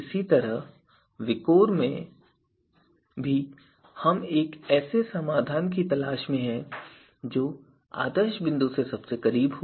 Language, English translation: Hindi, Similarly, in VIKOR also we are looking for a solution which is closest to the ideal point